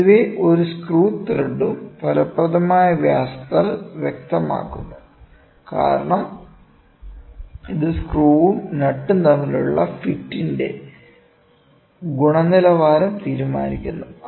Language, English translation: Malayalam, In general, each of the screw thread is specified by an effective diameter as it decides the quality of the fit between the screw and a nut